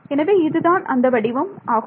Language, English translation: Tamil, So, this is the form that we have right